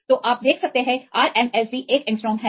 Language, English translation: Hindi, So, you can see the RMSD is 1 angstrom